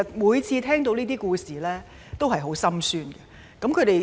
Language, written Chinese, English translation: Cantonese, 每次聽到這些故事，我都感到十分心酸。, I feel very sad whenever I heard these stories